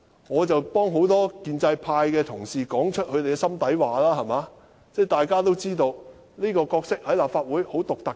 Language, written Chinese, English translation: Cantonese, 我只是替很多建制派的同事說出心底話，大家均知道這個角色在立法會是很獨特的。, That is the situation . I only speak out what pro - establishment colleagues want to say from the bottom of their hearts . We all know that this is a very special character among Members of this Council